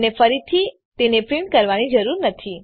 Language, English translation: Gujarati, You dont have to print it again